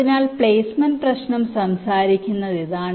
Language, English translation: Malayalam, so this is what the placement problem talks about now